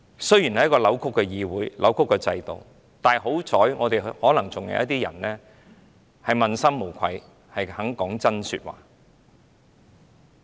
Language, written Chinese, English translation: Cantonese, 雖然這是扭曲的議會和制度，但可能還有一些人問心無愧，肯說真話。, Although this Council and this system are distorted people with a clean conscience may still be willing to tell the truth